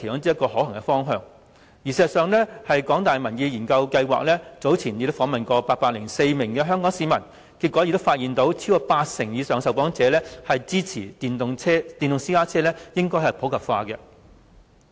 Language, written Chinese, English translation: Cantonese, 事實上，香港大學民意研究計劃早前訪問了804名香港市民，結果發現超過8成以上受訪者支持電動私家車普及化。, Actually in a recent survey conducted by the Public Opinion Programme of the University of Hong Kong over 80 % of the 804 interviewees said they supported the popularization of electric PCs e - PCs